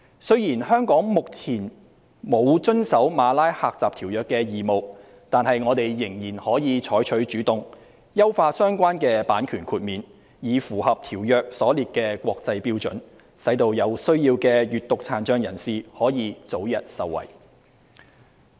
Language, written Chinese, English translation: Cantonese, 雖然香港目前沒有遵守《馬拉喀什條約》的義務，但我們仍可採取主動，優化相關的版權豁免，以符合《馬拉喀什條約》所列的國際標準，使有需要的閱讀殘障人士可以早日受惠。, Although Hong Kong is under no obligation to comply with the Marrakesh Treaty at present we may still take the initiative to enhance the relevant copyright exceptions to meet the international standards set out in the Marrakesh Treaty so that persons with a print disability can be benefited early if they have such a need